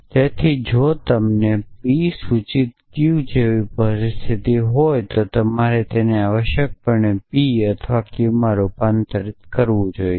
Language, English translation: Gujarati, And so if you have a situation like P implies Q you should convert it into not P or Q essentially